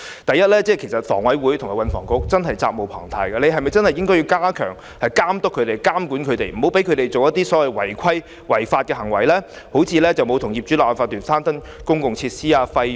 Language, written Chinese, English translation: Cantonese, 第一，房委會和運輸及房屋局責無旁貸，必須加強監督和監管領展，不應讓他們進行違規或違法行為，如沒有與業主立案法團攤分公共設施的費用。, First HA and the Transport and Housing Bureau are duty - bound to step up their supervision and regulation of Link REIT . They should prevent Link REIT from engaging in malpractices and unlawful practices such as default on paying the costs of public facilities shared with owners corporations